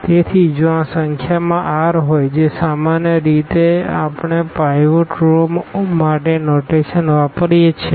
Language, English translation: Gujarati, So, if these are the r in number which usually the notation we use for pivot rows